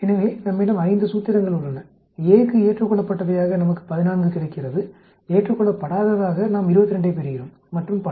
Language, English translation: Tamil, So, we have 5 formulations, accepted for A we get 14, not accepted we get 22 and so on actually